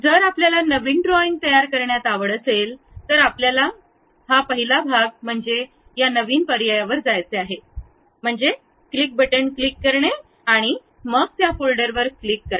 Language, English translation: Marathi, If we are interested in constructing a new drawing, the first part what we have to do is go to this new option, click means left button click, part by clicking that, then OK